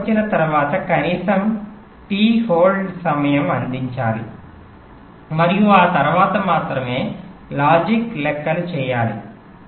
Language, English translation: Telugu, so after the edge comes, a minimum amount of t hold time must be provided and only after that the logic calculations